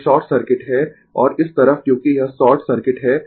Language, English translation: Hindi, This is short circuit and this side as it is short circuit